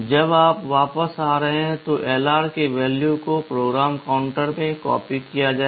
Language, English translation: Hindi, When you are coming back, the value of LR will be copied back into PC